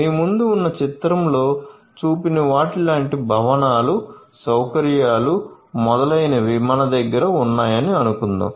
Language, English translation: Telugu, So, let us say that we have all these different ones like buildings, facilities, etcetera like the ones that are shown in the figure in front of you